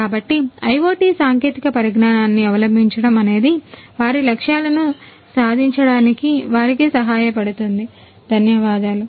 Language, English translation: Telugu, So, adoption of IoT technologies will help them in order to achieve the goals, thank you